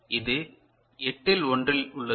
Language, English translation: Tamil, So, this is 1 upon 8 right